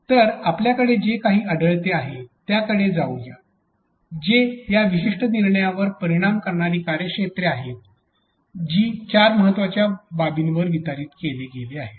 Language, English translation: Marathi, So, let us get going what we have found out is that the domains which affect this particular decision making are distributed over four important aspects